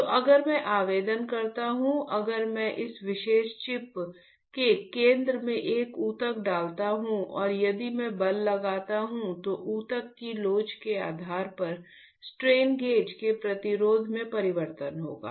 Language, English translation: Hindi, So, if I apply; if I put a tissue in the centre of this particular chip and if I apply force then there will be change in the resistance of the strain gauges depending on the elasticity of the tissue ok